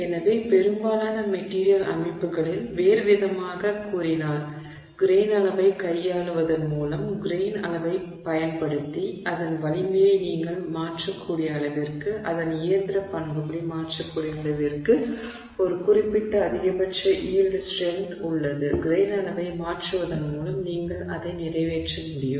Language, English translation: Tamil, So, in other words, in most material systems to the extent that you can alter its mechanical property, to the extent that you can alter its strength using grain size by manipulating the grain size, there is a certain maximum yield strength that you can that you can accomplish by varying the grain size